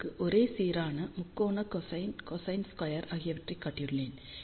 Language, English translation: Tamil, So, just to show you uniform, triangular cosine, cosine squared